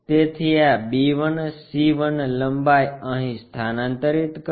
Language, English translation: Gujarati, So, transfer this b 1, c 1 length here